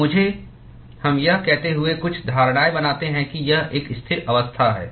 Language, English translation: Hindi, So, let me we make a few assumptions saying that it is a steady state